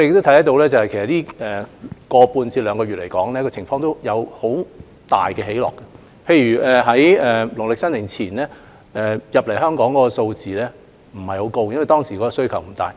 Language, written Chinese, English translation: Cantonese, 在這一個多月至兩個月以來，情況有很大的變化，例如在農曆新年前，有關物資進口香港的數量不高，因為當時的需求不大。, During the past one to two months the situation has changed drastically . For example before the Lunar New Year the import quantity was not large as the demand was not great at that time